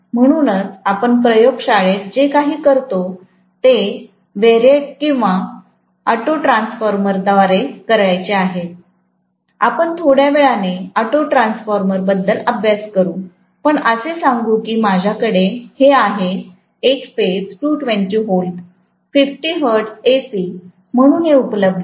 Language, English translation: Marathi, So, now what I am going to do is to apply, so normally what we do in the laboratory is to apply it through a variac or auto transformer, we will study about auto transformer a little bit later but let’s say I am having this as single phase 220 volts 50 hertz AC, this is what is available